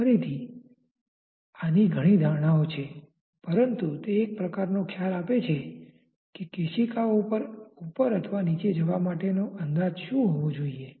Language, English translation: Gujarati, Again this has many approximations, but it gives some kind of idea that what should be the estimation for capillary rise or capillary depression